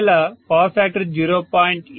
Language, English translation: Telugu, If the power factor had been 0